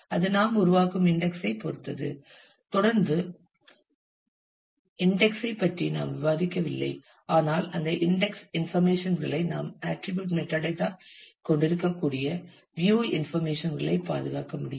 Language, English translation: Tamil, Then depending on the kind of index that you are creating we have still not discussed about index we will do subsequently; but those index information can be preserved the view information we can have attribute metadata